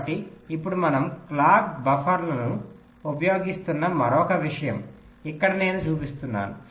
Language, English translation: Telugu, ok, so now another thing: we use the clock buffers here i am showing